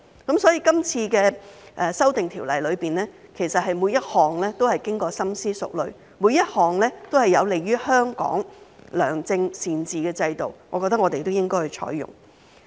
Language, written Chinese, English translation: Cantonese, 今次的《條例草案》提出的修訂，其實每一項都是經過深思熟慮，每一項都是有利於香港良政善治的制度，我覺得我們都應該採用。, The amendments proposed under this Bill are all well thought out and each of them is conducive to good governance in Hong Kong so I think we should adopt them